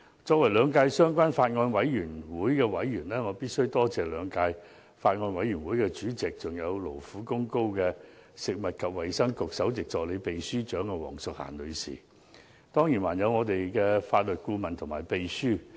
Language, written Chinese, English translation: Cantonese, 作為兩屆相關法案委員會的委員，我必須多謝兩屆法案委員會的主席，還有勞苦功高的食物及衞生局首席助理秘書長黃淑嫻女士，當然還有法律顧問和秘書。, As a member of the related Bills Committee in the last and current term I have to thank the Chairmen of the two Bills Committees and Miss Diane WONG Principal Assistant Secretary for Food and Health for her hard work and contribution; my gratitude will certainly include the Legal Adviser and the Clerks